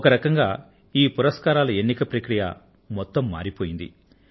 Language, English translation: Telugu, In a way, the selection of these awards has been transformed completely